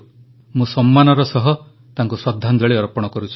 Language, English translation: Odia, I most respectfully pay my tributes to her